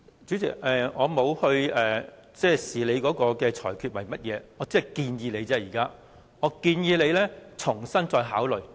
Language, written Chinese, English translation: Cantonese, 主席，我沒有對你的裁決作出評論，我只是建議你再重新考慮。, President I did not criticize your ruling I was just suggesting that reconsideration should be made